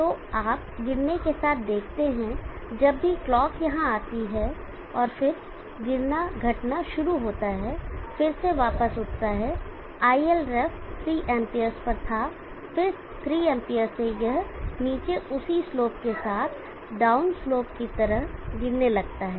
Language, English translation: Hindi, So you see with the flowing whenever the clocks comes in here and then it starts following subtracting, and I can rise it back the ilref was at 3 amps, then the 3 amps starts following down with the same slope as the down slope